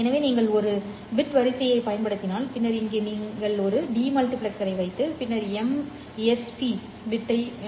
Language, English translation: Tamil, So if this is the bit sequence that you are getting, you essentially put a demultiplexer over here